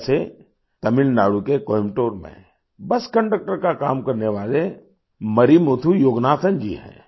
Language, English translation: Hindi, For example, there isMarimuthuYoganathan who works as a bus conductor in Coimbatore, Tamil Nadu